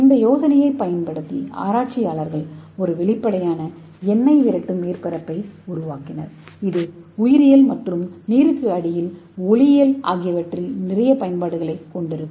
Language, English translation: Tamil, So this researchers they use this idea and they made a transparent oil repellent surface so which will have lot of application in biology as well as underwater optics